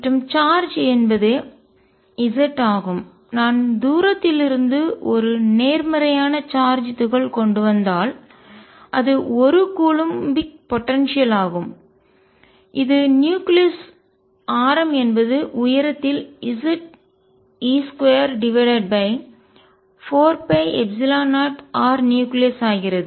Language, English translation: Tamil, And is charge is z, if I bring a positive charge particle from far away it is a coulombic potential which at the nucleus radius becomes of the height Z e square over 4 pi epsilon 0 r nucleus